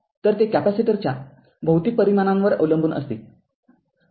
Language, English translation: Marathi, So, it depends on the physical dimension of the capacitor